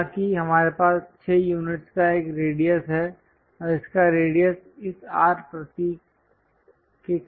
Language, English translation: Hindi, However, we have a radius of 6 units and its radius because of this R symbol